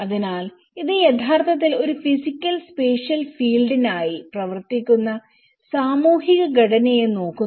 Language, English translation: Malayalam, So, which actually looks at the social construct that operates for a physical spatial field